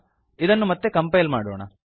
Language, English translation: Kannada, Let us compile it again